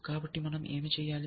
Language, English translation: Telugu, So, we do what